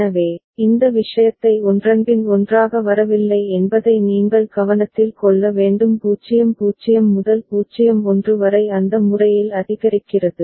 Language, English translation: Tamil, So, you need to be take note of this thing that it is not coming one after another 0 0 to 0 1 and it is just incrementing in that manner